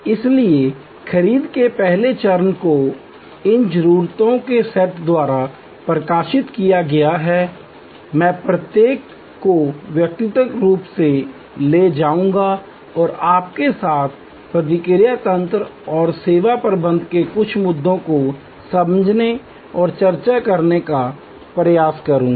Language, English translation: Hindi, So, the pre purchase stage is highlighted by these set of needs, I will take each one individually and try to understand and discuss with you some of the response mechanisms and service management issues